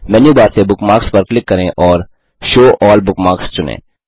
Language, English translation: Hindi, From Menu bar, click on Bookmarks and select Show All Bookmarks